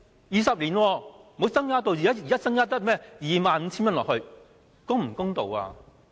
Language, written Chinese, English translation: Cantonese, 二十年沒有提高，現在只增加 25,000 元，是否公道？, The limit has not been raised for 20 years and now the increase is merely 25,000 . Is it fair?